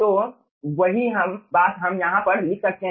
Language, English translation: Hindi, so what we can do, we can write down c1